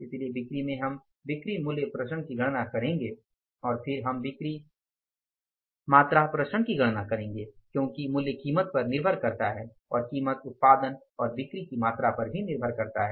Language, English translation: Hindi, So, in the sales we will calculate the sales value variance, we will calculate the sales price variance and then we will calculate the sales volume variances because value is depending upon the price and price also depends upon the volume of the production and sales